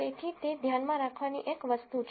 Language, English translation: Gujarati, So, that is one thing to keep in mind